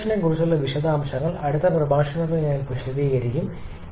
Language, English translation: Malayalam, Details considering the regeneration I shall be explaining in the next lecture